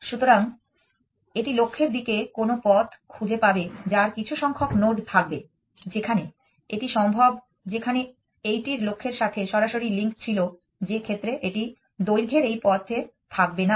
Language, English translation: Bengali, So, it will find some path to the goal which will have some number of nodes where is this possible in that this one had a direct link to the goal in which case it would not have on this path of length to